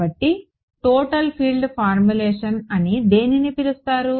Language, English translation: Telugu, So, what is called the Total field formulation